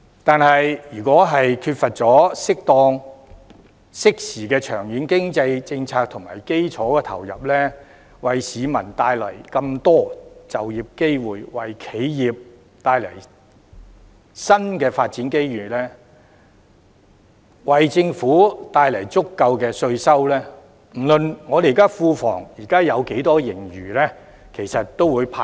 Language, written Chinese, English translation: Cantonese, 但是，如果缺乏適當及適時的長遠經濟政策及基礎投入，為市民帶來很多就業機會，為企業帶來新的發展機遇，為政府帶來足夠的稅收，不論庫房現時有多少盈餘，其實都會派光。, However if there are no appropriate timely and long - term economic policies and infrastructural investment to bring many employment opportunities to the public new development opportunities to enterprises and sufficient tax revenue to the Government the Treasury surplus will indeed be depleted no matter how large it currently is